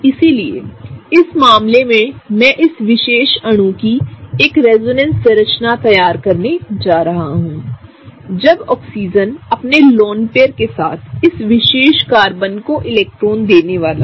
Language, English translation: Hindi, So, in this case I am going to draw a resonance structure of this particular molecule, when Oxygen with its lone pair is gonna give electrons to this particular the first Carbon